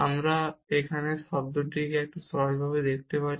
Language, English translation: Bengali, We can simplify little bit this term here